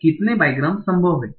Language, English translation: Hindi, So how how many bigrams are possible